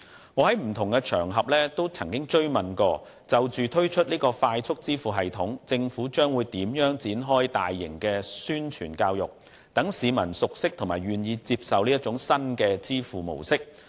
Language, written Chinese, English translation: Cantonese, 我在不同場合也曾多次追問，就着即將推出的"快速支付系統"，政府將會如何展開大型的宣傳教育，讓市民熟悉和願意接受新的支付模式。, I have asked the Government on different occasions whether it will launch a large - scale publicity and education campaign to promote the soon - to - be - launched FPS so that the public will be familiarized and prepared to use the new payment method